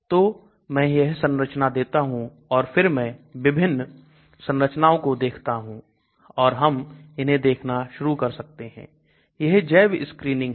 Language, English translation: Hindi, So I give this structure and then I again look at different type of structures and then we can start looking at, so this is bio screening